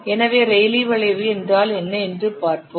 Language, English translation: Tamil, So, let's see what is a rally curve